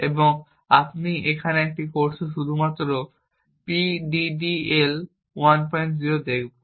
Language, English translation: Bengali, 0 and we will look at only PDDL 1